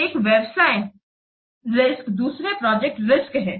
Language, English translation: Hindi, So, one is business risk, another is the project risk